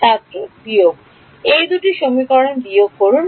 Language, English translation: Bengali, Subtract these two equations